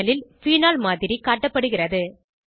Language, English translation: Tamil, A Model of phenol is displayed on the panel